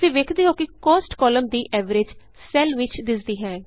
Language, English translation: Punjabi, You see that the average of the Cost column gets displayed in the cell